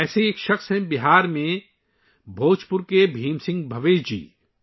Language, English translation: Urdu, One such person is Bhim Singh Bhavesh ji of Bhojpur in Bihar